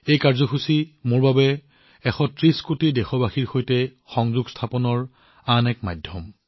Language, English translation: Assamese, This programmme is another medium for me to connect with a 130 crore countrymen